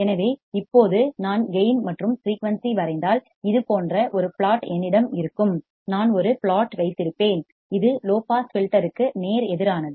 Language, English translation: Tamil, So, now if I draw a gain versus frequency what I see is that I will have a plot like this, I will have a plot which is which is exactly opposite to that of a low pass filter